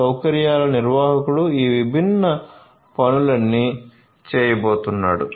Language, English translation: Telugu, So, facilities manager is going to do all of these different things